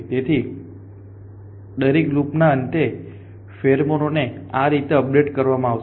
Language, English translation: Gujarati, So, this is how pheromone is updated at the end of every cycle